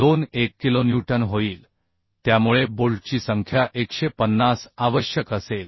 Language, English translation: Marathi, 21 kilonewton so number of bolts will be require 150 by 52